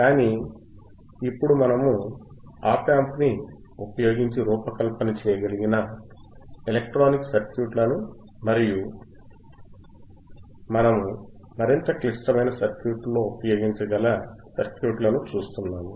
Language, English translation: Telugu, So, now what we are looking at the electronic circuits that we can design using op amp and those circuits you can further use it in more complex circuits